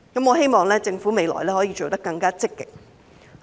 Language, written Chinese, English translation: Cantonese, 我希望政府未來可以做得更積極。, I hope the Government will be more proactive in the future